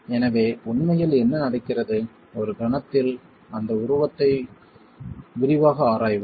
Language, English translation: Tamil, So, what is really happening, we will examine that figure in detail in a moment